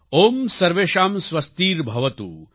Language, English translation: Gujarati, Om Sarvesham Swastirbhavatu